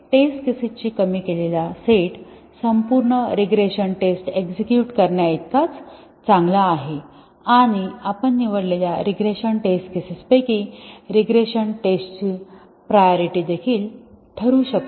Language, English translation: Marathi, So, the minimized set of test cases is as good as running the entire regression tests and we might also do regression test prioritization out of the regression test cases that have been selected